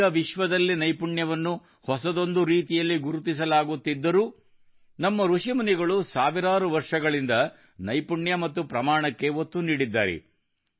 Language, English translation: Kannada, Even though skill is being recognized in a new way in the world today, our sages and seers have emphasized on skill and scale for thousands of years